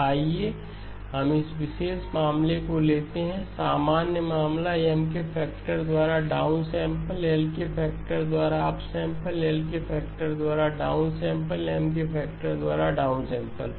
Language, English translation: Hindi, So let us take this particular case, the general case, down sample by a factor of M, up sample by a factor of L